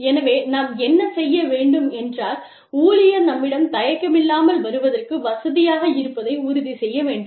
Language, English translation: Tamil, So, what we can do is, we must make sure, that the employee feels comfortable, coming to us